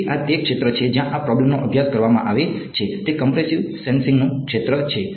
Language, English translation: Gujarati, So, this is the field where these problems are studied is the field of compressive sensing